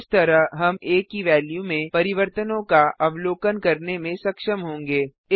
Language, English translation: Hindi, This way we will be able to observe the changes in the value of a